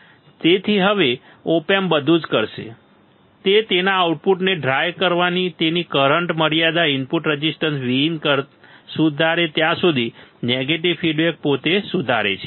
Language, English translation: Gujarati, So, now, the op amp will do everything, it can within its current limitation to dry the output until inverting input resist V in correct a negative feedback makes itself correcting